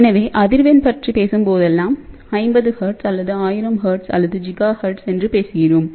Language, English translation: Tamil, So, whenever we talk about frequency we talk about 50 hertz or 1000 hertz or giga hertz and so on